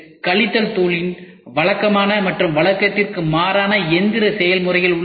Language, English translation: Tamil, Subtractive you have the conventional and the non conventional machining processes